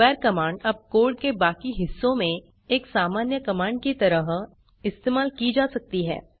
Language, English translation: Hindi, square command can now be used like a normal command in the rest of the code